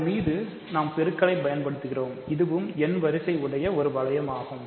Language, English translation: Tamil, So, on that we are giving multiplication, so, it is a ring of order n